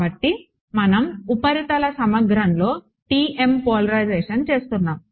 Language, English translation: Telugu, So, we were doing TM polarization in surface integral